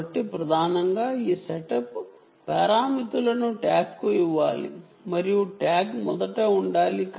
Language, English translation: Telugu, so mainly these setup parameters have to be fed to the tag and the tag will have to first